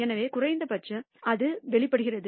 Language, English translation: Tamil, So, at least that is borne out